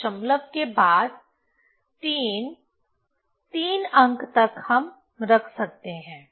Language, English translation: Hindi, So, after decimal 3 up to 3 digit we can keep